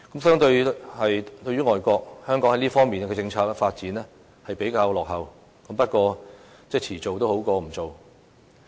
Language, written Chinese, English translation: Cantonese, 相對外國，香港在這方面的政策發展較為落後，但遲做總比不做好。, Hong Kong lags behind these overseas places in this area of policy development . But it is better late than never